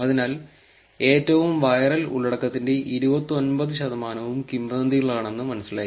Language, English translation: Malayalam, And therefore, claim that around 29 percent of the most viral content were rumours